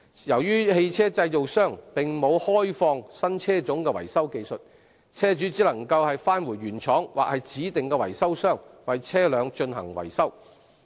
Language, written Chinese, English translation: Cantonese, 由於汽車製造商並沒有開放新車種的維修技術，車主只能返回原廠或指定的維修商為車輛進行維修。, As vehicle manufactures have not opened up the technologies for the maintenance of new models servicing of vehicles by the original manufacturers or designated repairers is the only option for vehicle owners